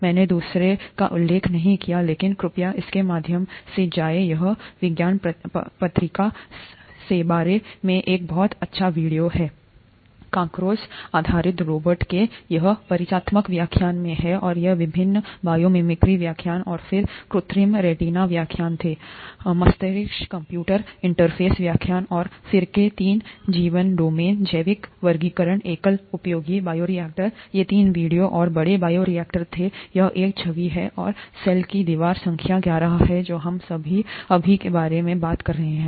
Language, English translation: Hindi, So we have seen all these videos designed through mimicry; I did not mention the second one, but please go through it, it’s a very nice short video from the science magazine about a cockroach based robot, this is in the introductory lecture, and these were the various biomimicry lectures and then the artificial retina lecture, brain computer interface lecture, and then the three domains of life, biological classification, single use bioreactor; these three were videos and the large bioreactor, this is an image, and the cell wall number eleven is what we are talking about right now